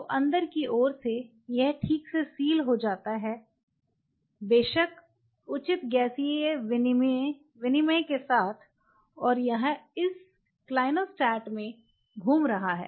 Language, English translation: Hindi, So, the inside it seals properly with of course, proper gaseous exchange and it is moving in this clinostat